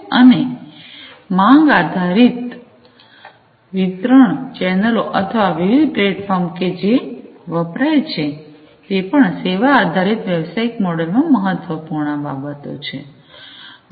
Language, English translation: Gujarati, And the distribution channels on demand or the different platforms that are used, so these are also different important considerations in the Service Oriented business model